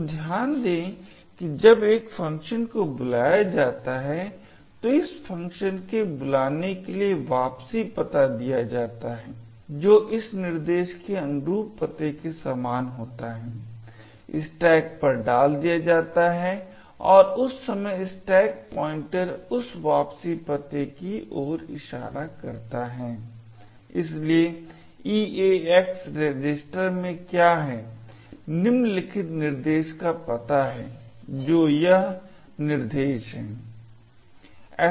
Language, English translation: Hindi, So, note that when a call is done the return address for this call that is corresponding to the address corresponding to this instruction is pushed onto the stack and at that time the stack pointer is pointing to that return address, therefore what is moved into the EAX register is the address of the following instruction that is this instruction